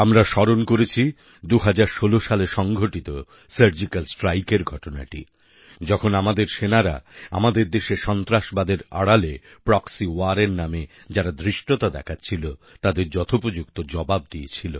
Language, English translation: Bengali, We remembered that surgical strike carried out in 2016, where our soldiers gave a befitting reply to the audacity of a proxy war under the garb of terrorism